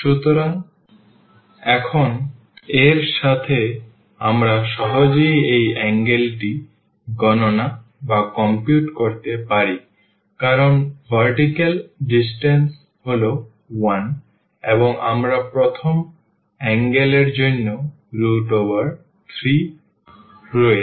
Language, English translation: Bengali, So, with this now we can compute easily this angle because this is the vertical distance is 1, and here is a s square root 3 for the first angle this one